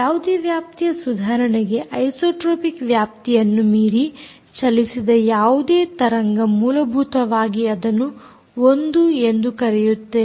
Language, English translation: Kannada, any range, improvement, any wave which has travelled beyond the isotropic range, essentially we can be called as the, i can be known as the range